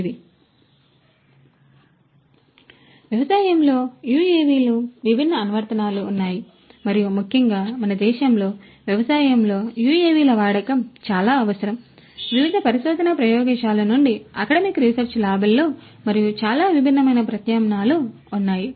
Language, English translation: Telugu, So, UAVs in agriculture there are diverse applications and particularly in our country, use of UAVs in agriculture is very much required is very much there are a lot of different efforts from different research labs, in the academic research labs and so on